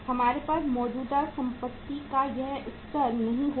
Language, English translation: Hindi, We would not have this level of the current assets with us